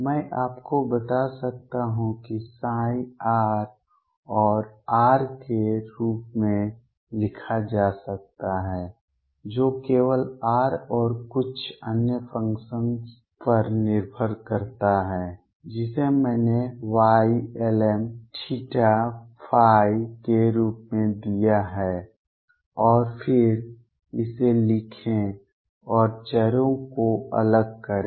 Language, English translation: Hindi, I could tell you that psi r vector can be written as R which depends only on r and some other function which I have given as Y lm theta and phi and then write this and do separation of variables